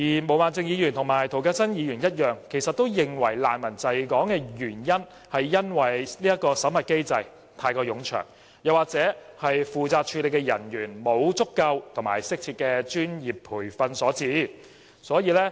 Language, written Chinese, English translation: Cantonese, 毛孟靜議員和涂謹申議員一樣，認為難民滯港的原因是審核機制太過冗長，又或負責處理的人員沒有足夠和適切的專業培訓所致。, Ms Claudia MO and Mr James TO both think that the protracted screening mechanism and a lack of adequate and appropriate professional training for officers processing non - refoulement claims are the cause to refugees being stranded in Hong Kong